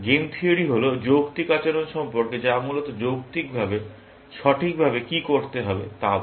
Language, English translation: Bengali, Game theory is about rational behavior that what is logically, the correct thing to do, essentially